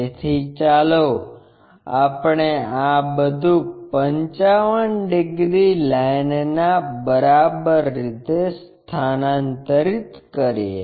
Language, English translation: Gujarati, So, let us transfer that all the way to this 55 degrees line